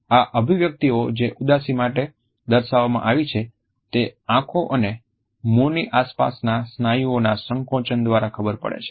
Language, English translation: Gujarati, These expressions which are portrayed for being sad are assisted through the contraction of the muscles around eyes and mouth